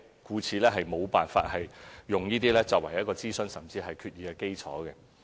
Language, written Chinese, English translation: Cantonese, 故此，無法以此等提議，作為諮詢，甚至是決議的基礎。, Therefore it is impossible to conduct consultation or pass resolution on the basis of such proposals